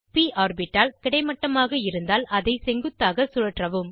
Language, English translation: Tamil, Rotate the p orbital to vertical position if it is in horizontal position